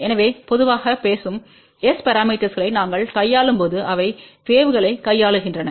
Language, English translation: Tamil, So, generally speaking when we deal with S parameters they are dealing with waves